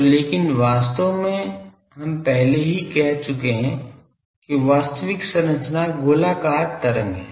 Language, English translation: Hindi, So, but actually we have already said that the actual structure is spherical wave